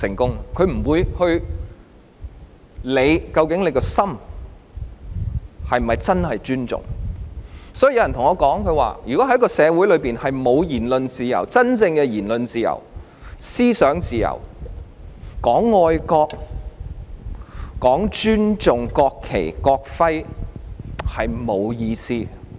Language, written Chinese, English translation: Cantonese, 極權者不會理會人民內心是否真正尊重，所以有人告訴我，如果在一個社會裏，沒有言論自由、真正的言論自由、思想自由，談愛國、談尊重國旗、國徽是沒有意思的。, An autocratic ruler will not care if peoples respect is true and genuine . Therefore somebody tells me that it is meaningless to talk about patriotism as well as respect for the national anthem and the national emblem when there is no genuine freedom of speech and freedom of thought in society